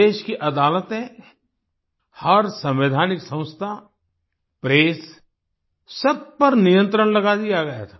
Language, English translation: Hindi, The country's courts, every constitutional institution, the press, were put under control